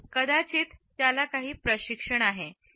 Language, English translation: Marathi, Perhaps because he is has some training